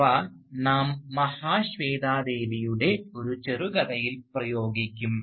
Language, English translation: Malayalam, But, we will apply them to a short story by Mahasweta Devi